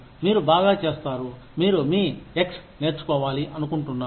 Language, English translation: Telugu, You do something well, and you say, I want to learn X